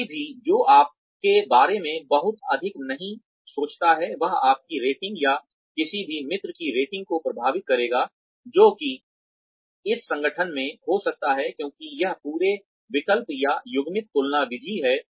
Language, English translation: Hindi, Anyone, who does not think very highly of you, would end up influencing your rating, or the rating of any friend, that you may have in that organization, because of this whole alternation, or paired comparison method